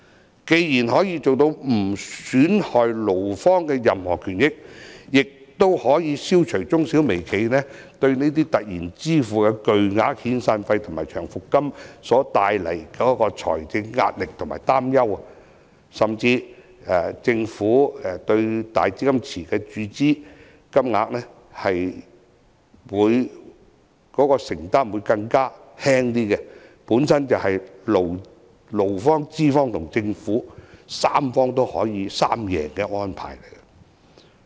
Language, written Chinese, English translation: Cantonese, 這方案既可以做到不損害勞方的任何權益，亦可以消除中小微企對突然支付的巨額遣散費和長期服務金所帶來的財政壓力和擔憂，甚至政府對"大基金池"的注資金額的承擔亦會更輕，本身就是勞方、資方及政府的三贏安排。, Also it can eliminate the financial burden and worries of MSMEs in connection with the sudden need to pay a large sum of SP and LSP . Moreover the Government can contribute less into the cash pool . The proposal is indeed a triple - win arrangement to the employee the employer and the Government